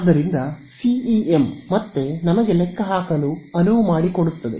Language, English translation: Kannada, So, CEM again allows us to calculate these exactly ok